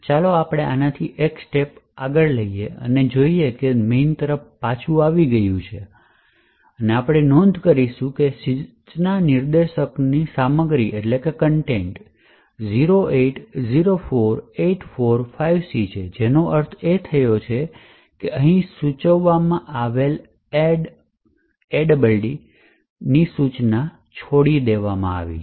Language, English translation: Gujarati, So, let us single step through this and see that it has come back to main and we would note that the contents of the instruction pointer is 0804845C which essentially means that the add instruction which is specified here has been skipped